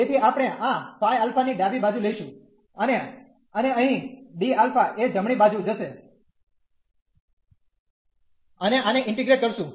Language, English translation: Gujarati, So, we can take this phi alpha to the left hand side, and here the d alpha will go to the right hand side and integrating this